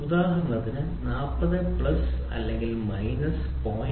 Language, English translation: Malayalam, For example, if you try to take 40 plus or minus 0